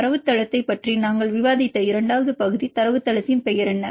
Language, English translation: Tamil, The second part we discussed about the database what is a name of the database